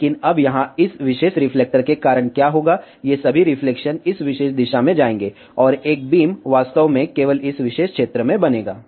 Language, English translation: Hindi, But, now because of this particular reflector here, what will happen, all of these reflection will go in this particular direction, and a beam will be actually formed only in this particular area